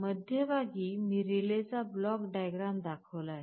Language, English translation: Marathi, This is the block diagram of the relay I am showing in the middle